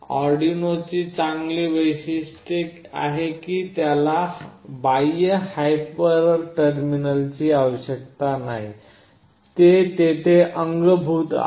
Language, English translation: Marathi, Arduino has a good feature that it does not require any external hyper terminal, it is in built there